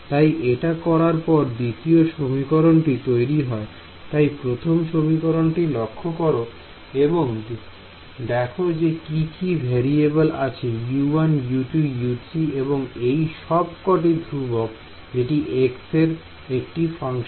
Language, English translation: Bengali, So, now, having done this the second equation becomes, so notice this 1st equation over here what all variables does it have U 1 U 2 U 3 and they are all constants that are a function of x integrating them is trivial